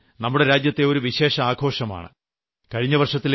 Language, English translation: Malayalam, The festival of Raksha Bandhan is a festival of special significance